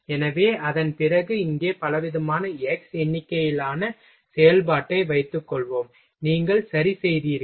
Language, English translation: Tamil, So, that after that suppose that here a variety of suppose that x number of operation, you performed ok